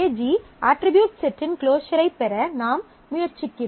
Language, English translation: Tamil, So, we are trying to find the closure of the set of attributes AG